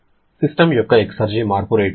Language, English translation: Telugu, How much will be the rate of exergy change of the system